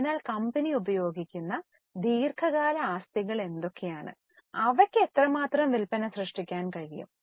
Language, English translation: Malayalam, So, what are the long term assets used by the company and how much sales they are able to generate